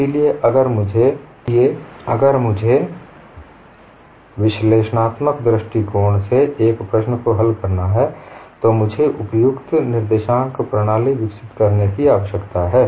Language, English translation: Hindi, So if I have to solve a problem by analytical approach, I need to develop suitable coordinate system as well